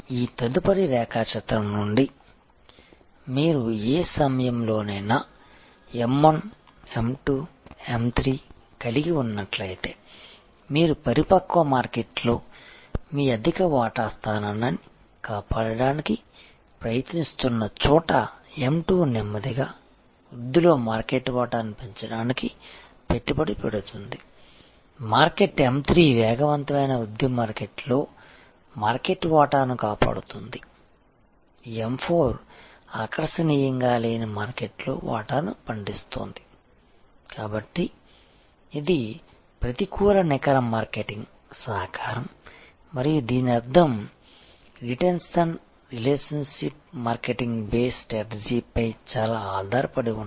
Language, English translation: Telugu, From this next diagram, that if you see at any movement of time you may have M1, M2, M3 this is where you are trying to protect your high share position in a mature market M2 is invest to grow market share in a slow growth market M3 is protect market share in a fast growth market M4 is harvesting share in a unattractive market, so this as a negative net marketing contribution and which means that these which are very dependent on retention relationship marketing base strategy are very important, so that this impact is negated